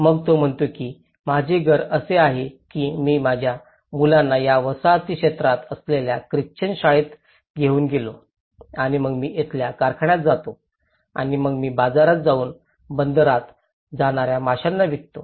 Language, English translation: Marathi, Then he says my house is like this I took my children to the school in the Christian this colonial area and then I go to the ice factory here, and then I go to the market and sell the fish I go to the harbour